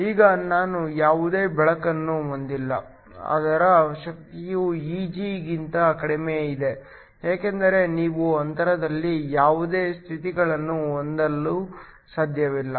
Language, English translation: Kannada, Now, we will not have any light whose energy is less than Eg because you cannot have any states in the gap